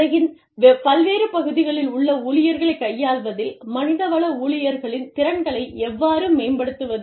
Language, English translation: Tamil, How do you enhance the capabilities, of the human resources staff, in dealing with the employees, in different parts of the world